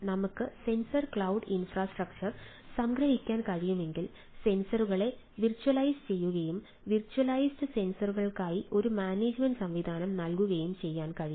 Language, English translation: Malayalam, so, if we can, if we summarize, sensor cloud infrastructure virtualizes sensors and provides management mechanism for virtualized sensors